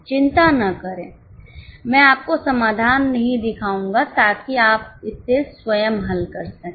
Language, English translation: Hindi, Don't worry, I will not show you solution so that you can solve it yourself